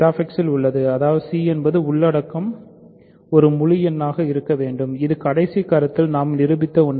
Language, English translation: Tamil, So, g is in Z X; that means, c equal c which is the content must be an integer, this is something that we proved in the last proposition